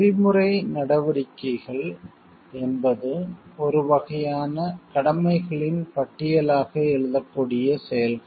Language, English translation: Tamil, Ethical actions are those actions that could be written down on as a sort of list of duties